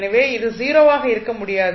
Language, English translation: Tamil, So, this cannot be 0